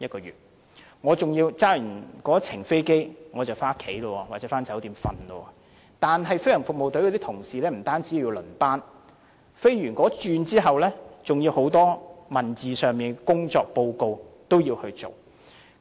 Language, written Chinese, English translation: Cantonese, 如果在後者工作，駕駛飛機後便可回家或酒店休息，但飛行服務隊的同事不單要輪班，駕駛飛機後還要提交工作報告。, Nevertheless not only do the GFS colleagues have to work on shifts but they also have to submit their working reports after driving the aircraft